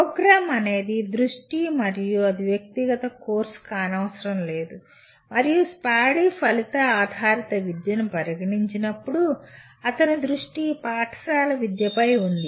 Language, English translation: Telugu, Program is the focus and not necessarily the individual course and when Spady considered outcome based education his focus was on school education